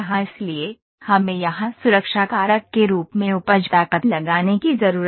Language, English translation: Hindi, So, we need to put yield strength as a factor here safety factor